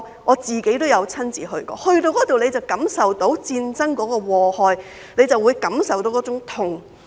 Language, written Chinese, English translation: Cantonese, 我曾親身前往，在那裏會感受到戰爭的禍害，會感受到那種痛。, I have been there myself and I felt the scourge of the war or the sort of pain there